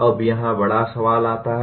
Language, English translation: Hindi, Now here comes the bigger question